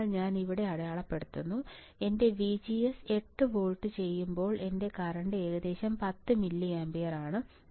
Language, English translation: Malayalam, So, I am marking about here, when my VGS is 8 volts my current is about 10 milliampere